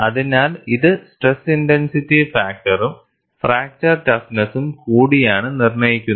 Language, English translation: Malayalam, So, this is dictated by stress intensity factor as well as the fracture toughness